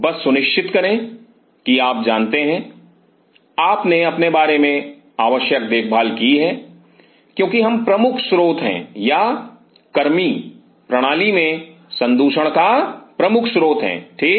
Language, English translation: Hindi, Just ensure that you know, you have taken necessary care about yourself, because we are the major source or the workers are the major source of contamination into the system ok